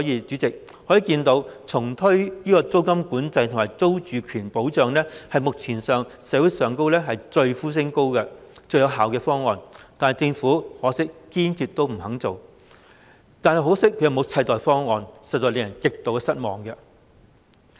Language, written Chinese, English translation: Cantonese, 主席，由此可見，重推租金管制和租住權保障是目前社會上呼聲最高、最有效的方案，可惜政府堅決不肯做，同時又沒有替代方案，實在令人極為失望。, President it can thus be seen that reintroducing tenancy control and protecting security of tenure are the most effective measures widely supported by society . It is really disappointing that the Government firmly refuses to do so whilst failing to offer any alternative